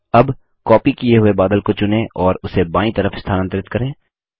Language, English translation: Hindi, Now, select the copied cloud and move it to the left